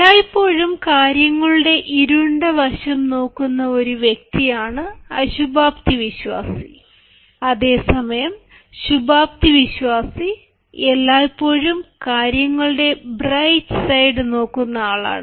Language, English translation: Malayalam, a pessimist is a person who always looks at the dark side of things, whereas an optimist is one who always looks at the bright side of things